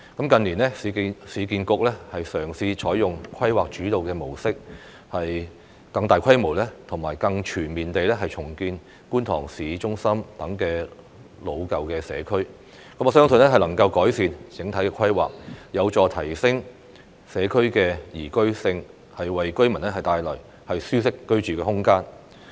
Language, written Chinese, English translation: Cantonese, 近年，市建局嘗試採用規劃主導模式，更大規模及更全面地重建觀塘市中心等老舊社區，我相信能夠改善整體規劃，有助提升社區的宜居性，為居民帶來舒適的居住空間。, In recent years the Urban Renewal Authority URA has sought to adopt a planning - led approach when carrying out redevelopment in older communities such as Kwun Tong Town Centre on a larger scale and in a more comprehensive manner . I believe it can improve the overall planning and help to enhance the livability of those communities while creating a comfortable living space for the residents